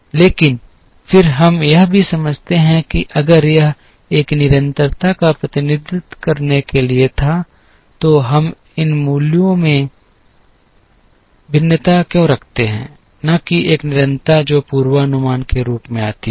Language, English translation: Hindi, But, then we also understand that if this were to represent a constant, then why do we have these variations in these values, and not the same constant that comes as a forecast